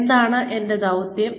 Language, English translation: Malayalam, What is my mission